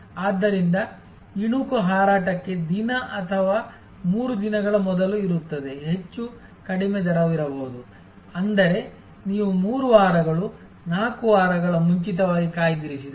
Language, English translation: Kannada, So, the peek will be at day or 3 days a prior to the flight, there could be a much lower rate, which is if you book 3 weeks, 4 weeks in advance